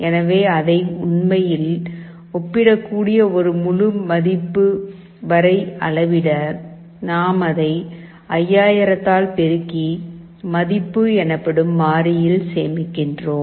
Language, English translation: Tamil, So, to scale it up to an integer value, which you can actually compare, we multiply it by 5000, and store in a variable called “value”